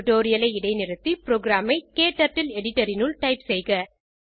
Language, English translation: Tamil, Pause the tutorial and type the program into KTurtle editor